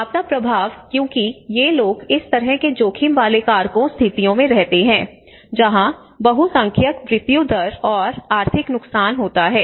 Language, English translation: Hindi, So disaster impacts because these people live in this kind of risk factors situations that is where the majority mortality and economic loss